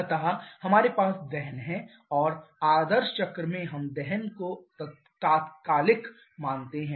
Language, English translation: Hindi, So, we have combustion and in actual or sorry in idea cycle we assume combustion to be instantaneous